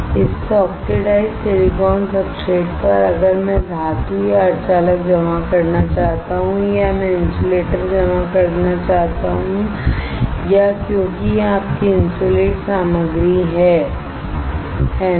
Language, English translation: Hindi, On this oxidized silicon substrate if I want to deposit a metal or an a semiconductor or I want to deposit insulator or because this is your insulating material, right